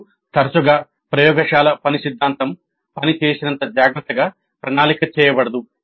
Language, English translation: Telugu, Now often it happens that the laboratory work is not planned as carefully as the theory work